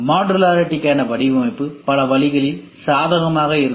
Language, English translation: Tamil, Design for modularity, can be advantageous in many ways